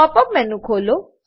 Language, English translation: Gujarati, Open the pop up menu